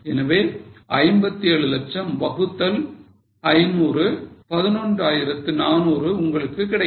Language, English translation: Tamil, So, 57 lakhs divided by 500, you get 11,400